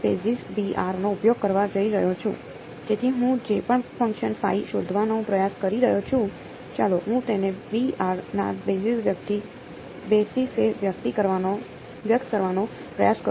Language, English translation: Gujarati, So, whatever function I am trying to find out phi, let me try to express it in the basis of b n ok